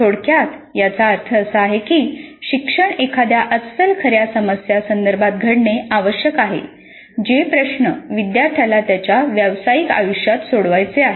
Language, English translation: Marathi, Very briefly what it means is that the learning must occur in the context of an authentic real world problem that is quite similar to the task that the learners would be required to solve when they practice